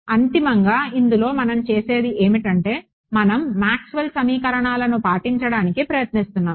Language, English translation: Telugu, It will make it consists in such that there is no finally, we are trying to obey Maxwell’s equations